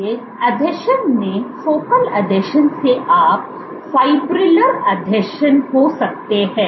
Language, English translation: Hindi, So, from Focal Adhesions in adhesion you can have Fibrillar Adhesions